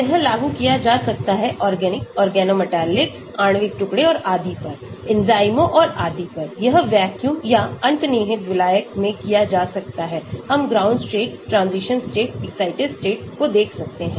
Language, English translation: Hindi, It can be applied to organics, organometallics, molecular fragments and so on; enzymes and so on, it can be done in vacuum or implicit solvent , we can look at ground state, transition state, excited states